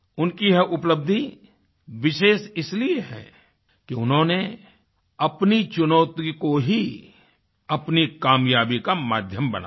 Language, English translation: Hindi, Her achievement is all the more special because she has made the imposing challenges in her life the key to her success